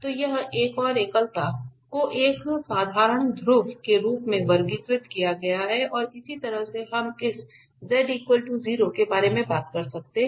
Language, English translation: Hindi, So, this another singularity is classified as a simple pole and similarly we can talk about the z equal to i